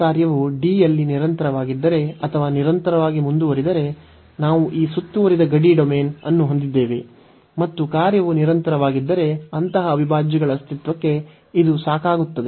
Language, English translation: Kannada, If this function is continuous or piecewise continuous in D, so we have this closed boundary domain and if the function is piecewise continuous or continuous, so this is sufficient for the existence of such integrals